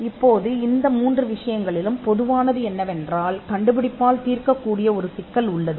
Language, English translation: Tamil, Now, what is common in all these 3 things is that, there is an problem that is being solved by the invention